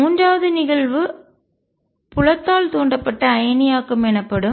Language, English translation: Tamil, Third of phenomena which is known as field induced ionization